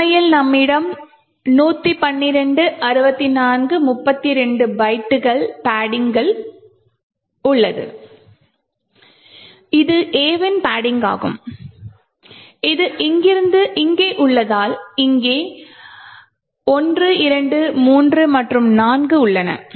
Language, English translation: Tamil, In fact, we have 112 minus 64 minus 32 bytes of padding that we see is the padding with A’s which is actually present from here to here so there are 1, 2, 3 and 4